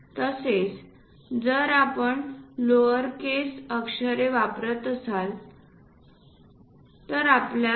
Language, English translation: Marathi, Similarly, if we are using lowercase letters, then one has to use 2